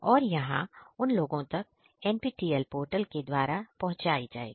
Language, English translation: Hindi, So, it is going to be made accessible through the NPTEL portal